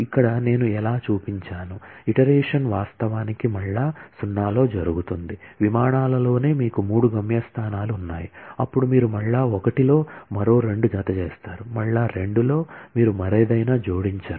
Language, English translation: Telugu, Here, I have shown that how the iteration actually happens in the iteration 0, in the flights itself, you had three destinations, then you add two more in iteration 1, in iteration 2, you do not add anything else